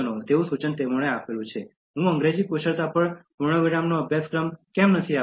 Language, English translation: Gujarati, So, the suggestion given was that, why don’t I give a full fledged course on English Skills